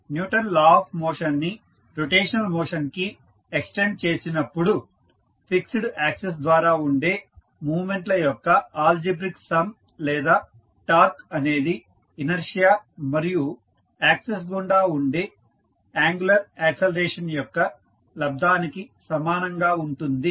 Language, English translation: Telugu, The extension of Newton’s law of motion for rotational motion states that the algebraic sum of moments or torque about a fixed axis is equal to the product of the inertia and the angular acceleration about the axis